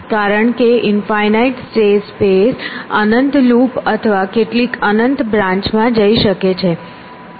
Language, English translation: Gujarati, Because in infinite state spaces they could go some infinite loop or some infinite branch